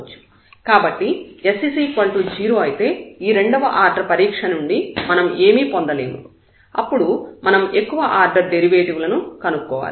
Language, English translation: Telugu, So, s maybe 0, s may not be 0, so if s is 0 again the second order test will not give anything and we have to go for the higher order derivatives